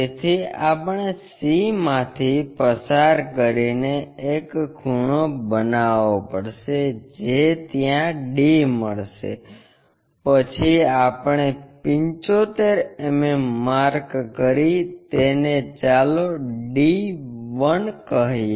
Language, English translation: Gujarati, So, we have to make a cut from c make an angle there to locate d; then 75 mm we have to locate, 75 mm so this point, let us call d 1